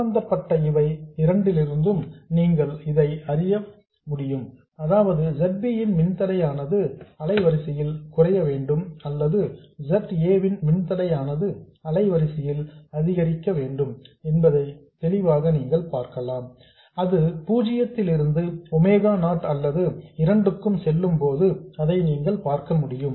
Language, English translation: Tamil, So, clearly from these two relationships you see that either the impedance of ZB has to decrease with frequency or the impedance of ZA has to increase with frequency when it goes from 0 to omega 0 or both